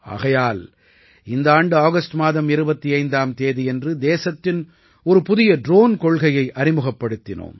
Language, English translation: Tamil, Which is why on the 25th of August this year, the country brought forward a new drone policy